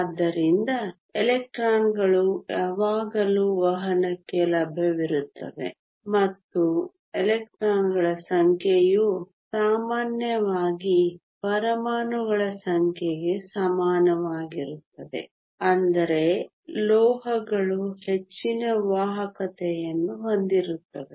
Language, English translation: Kannada, So, electrons are always available for conduction and the number of electrons is typically equal to the number of atoms which means metals have high conductivity